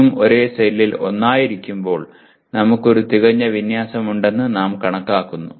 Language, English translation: Malayalam, When all the three are together in the same cell, we consider we have a perfect alignment